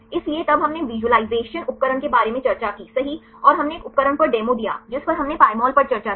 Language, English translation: Hindi, So, then we discussed about the visaulization tools right and we gave the demo on one tool which one we discussed Pymol